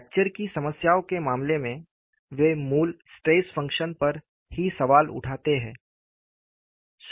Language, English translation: Hindi, You know, this is very unusual, in the case of fracture problems, they question the basic stress function itself